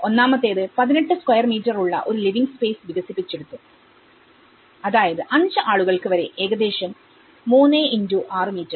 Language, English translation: Malayalam, One is they developed a living space of 18 square meters, which is about 3*6 meters for up to 5 individuals